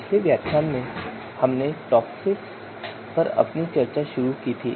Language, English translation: Hindi, So in previous lecture we started our discussion on TOPSIS